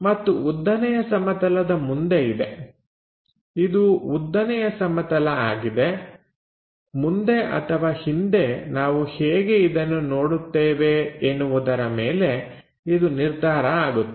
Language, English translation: Kannada, And in front of vertical plane this is the vertical plane, in front or back side the way how we look at it